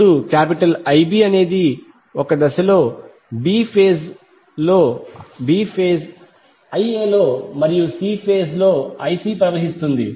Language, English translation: Telugu, Now I b is the current which is flowing in b phase I a in a phase and I c in c phase